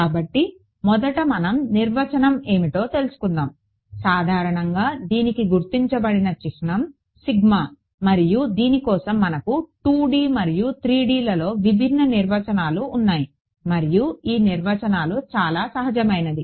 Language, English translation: Telugu, So, first of all the very definition; the symbol reserve for it is usually sigma and so, what I have over here there are different definitions in 2 D and 3 D and the definitions are very intuitive